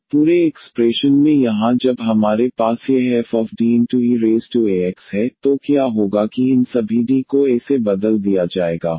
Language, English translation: Hindi, So, in the whole expression here when we have this f D we apply on e power a x, what will happen that all these D will be replaced by a